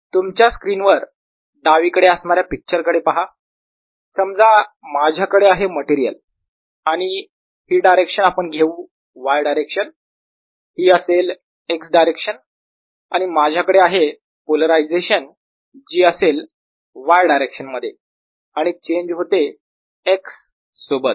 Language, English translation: Marathi, suppose i have a material let's take this to be y direction, this to be x direction and i have a polarization which is in the y direction and changes